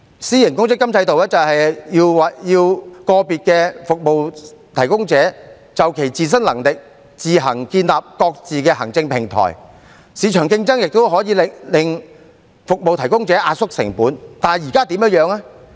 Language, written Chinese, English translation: Cantonese, 私營公積金制度要求個別服務提供者，就其自身能力自行建立各自的行政平台，市場競爭也可令服務提供者壓縮成本，但現在的情況是怎樣呢？, A private provident fund system requires individual service providers to set up their respective administrative platforms according to their own capacities while market competition can also help compress the costs of service providers . But what is the current situation?